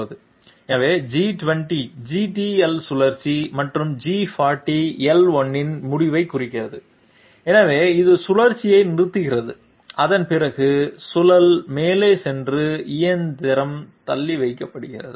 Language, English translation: Tamil, So G20 marks the end of the GTL cycle and this sorry this should be G40, one 0 has been missed, G40 L1, so this one stops the cycle and after that the the spindle goes up and the machine is put off